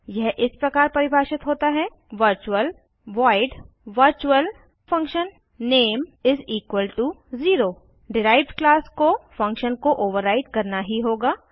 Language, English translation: Hindi, It is declared as: virtual void virtualfunname()=0 A derived class must override the function